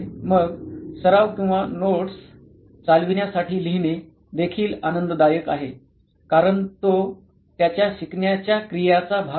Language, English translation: Marathi, Then writing for practice or running notes is also happy it is part of his learning activity